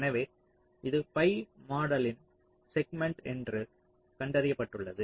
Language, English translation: Tamil, so it has been found that this is this is one segment of the pi model